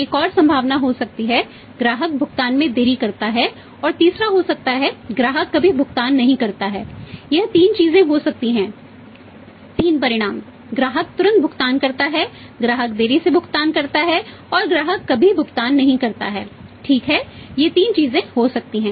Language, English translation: Hindi, There can be another possibility say customer delays payment customer delays payment and third can be customer never pays customer never pays this can be 3 things 3 outcomes customer pays promptly, customer delayed payment and customer never pays right these can be three things